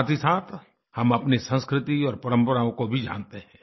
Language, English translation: Hindi, At the same time, we also come to know about our culture and traditions